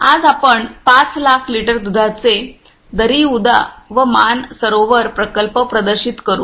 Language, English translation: Marathi, Today we will display 5 lakhs litre milk Daryuda and Manasarovar plant